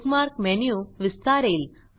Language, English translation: Marathi, The Bookmark menu expands